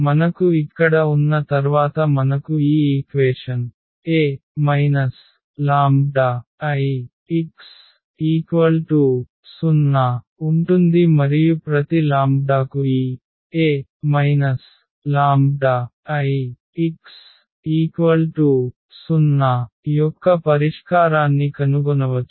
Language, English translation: Telugu, Once we have the lambda here then we have this equation A minus lambda I x is equal to 0 and for each lambda we can find the solution of this A minus lambda I x is equal to 0